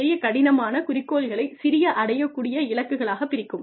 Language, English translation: Tamil, Break up, larger tougher goals, into smaller achievable goals